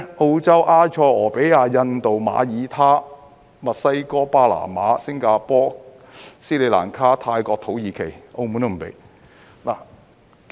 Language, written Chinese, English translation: Cantonese, 澳洲、埃塞俄比亞、印度、馬爾他、墨西哥、巴拿馬、新加坡、斯里蘭卡、泰國、土耳其，澳門也不准許。, They are Australia Ethiopia India Malta Mexico Panama Singapore Sri Lanka Thailand Turkey and Macao has banned it as well